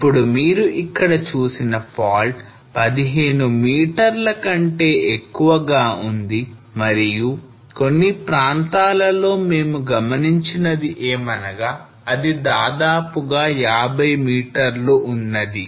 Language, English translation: Telugu, Now this scarp which is seen here are more than 15 meter and in some places we observed that it is almost like 50 meters